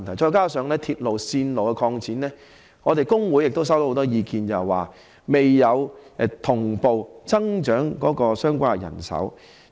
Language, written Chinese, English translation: Cantonese, 再加上鐵路線擴展，我們工會亦收到很多意見，指未有同步增加相關的人手。, In addition with the expansion of the railway network our labour unions have also received a lot of views saying that the relevant manpower has not been increased accordingly